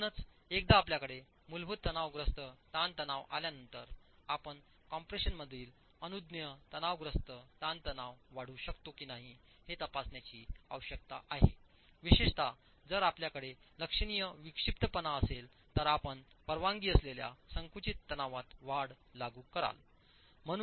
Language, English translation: Marathi, So, once you have the basic compressive stress, you need to check if permissible compressive stress in compression can be augmented, particularly if you have a condition of eccentricity, significant eccentricity above 1 in 24, you will apply an increase in the permissible compressive stress